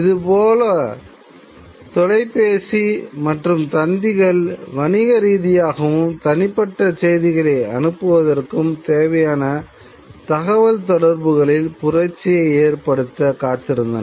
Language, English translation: Tamil, Similarly, telephone and telegraph were also looking to revolutionize the communications for passage of business and personal messages